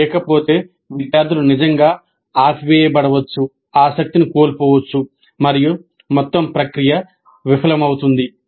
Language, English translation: Telugu, Otherwise the students really might get turned off lose interest and then the whole process would be a failure